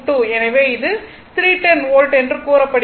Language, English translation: Tamil, So, it is said 310 volts right